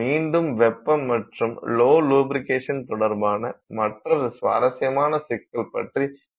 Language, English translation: Tamil, Again, another interesting problem with respect to heat and lubrication